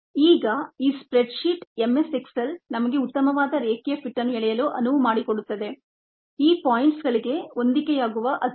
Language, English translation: Kannada, this ah spread sheet m s excel allows us to use, or allows us to draw a best line fit, ah line fit, the best line that fit's to these points